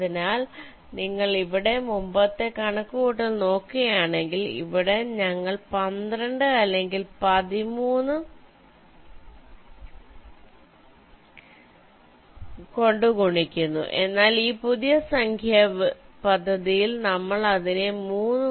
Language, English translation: Malayalam, so if you look at the previous calculation here here we are multiplying by twelfth or thirteen, thirteenth, but in this new numbering scheme